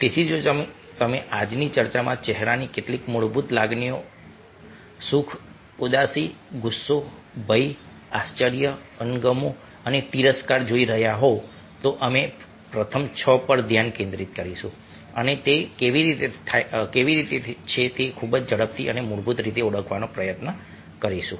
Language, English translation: Gujarati, so if you looking at some of the fundamental facial emotions happiness, sadness, anger, fear, wonder, disgust and scorn in todays talk we will focus on the first six and will try to identify very, very quick and basic way